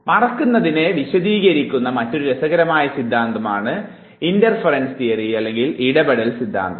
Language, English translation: Malayalam, The other interesting theory which explains forgetting is the interference theory